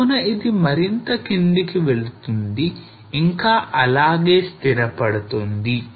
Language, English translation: Telugu, So this will move further down and this remains stationary here